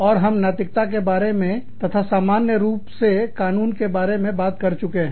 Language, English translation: Hindi, And, we have talked about, ethics, and the law, in general